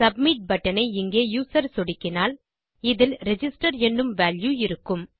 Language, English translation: Tamil, This is because when the user clicks the submit button here, this will hold a value of Register